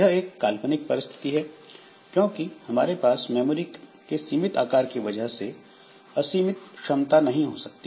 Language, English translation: Hindi, So, of course, this is a hypothetical situation because I cannot have unbounded capacity due to this limited memory size